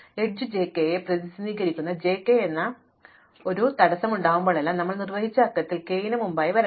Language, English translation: Malayalam, In such a way that whenever there is a constraint of the form j k that is there is an edge j k, then in the enumeration that we have performed j must come before k